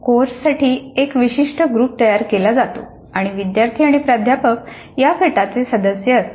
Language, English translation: Marathi, A specific group is created for the course and the students and the faculty are members of this group